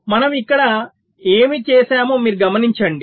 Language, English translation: Telugu, so you see what we have done here